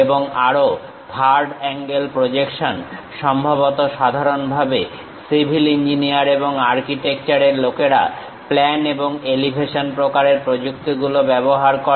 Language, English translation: Bengali, And also third angle projection, perhaps typically civil engineers and architecture guys use plan and elevation kind of techniques, these are views